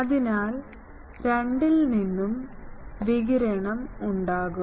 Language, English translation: Malayalam, So, there will be radiation from both of them